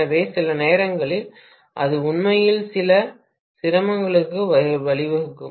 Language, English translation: Tamil, So, sometimes that can actually give rise to some difficulty, right